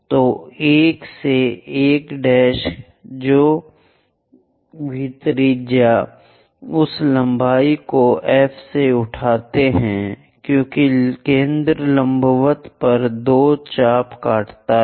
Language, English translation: Hindi, So 1 to 1 prime whatever that radius pick that length from F as centre cut two arcs on the perpendicular